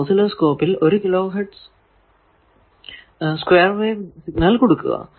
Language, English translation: Malayalam, So, you give oscilloscope had 1 kilo hertz square wave signal